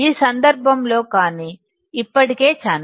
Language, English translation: Telugu, In this case but, there is already channel